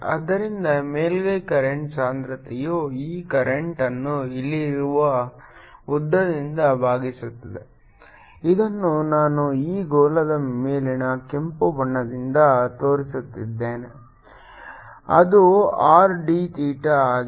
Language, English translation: Kannada, that is the current going at the surface to surface current density will be this current divided by the length out here which i am showing red on this sphere, which is r theta